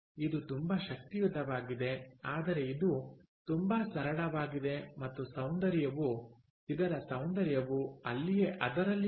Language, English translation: Kannada, ok, it is very powerful, but it is very simple, and that is where the beauty lies